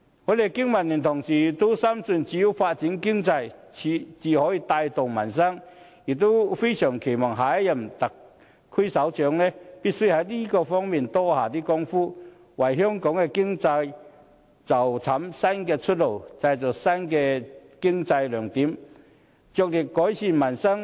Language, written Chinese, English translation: Cantonese, 我們經民聯的同事都深信只有發展經濟才能帶動民生，也非常期望下任特首必須在這方面多下工夫，為香港的經濟尋找新的出路，製造新的經濟亮點，着力改善民生。, We the Business and Professionals Alliance for Hong Kong BPA firmly believe that economic development can bring about improvement on peoples livelihood . We earnestly hope that the next Chief Executive will spend more efforts in this regard so as to find a new way out for the economy of Hong Kong create new bright spots for our economy and vigorously improve peoples livelihood